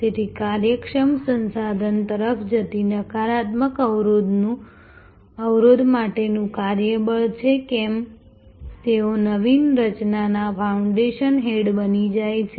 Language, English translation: Gujarati, So, whether it is the workforce for the negative constraint going to efficient resource, they become they innovative creation fountain head